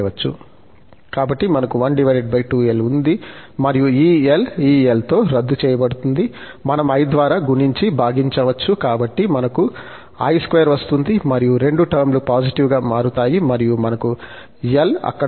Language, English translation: Telugu, So, 1 over 2l, so, this l will get cancelled with this l, the i, we can multiply and divide, so, minus i square, so, both term will become positive and we have i there